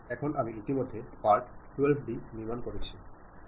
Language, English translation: Bengali, Now, I have already constructed part12d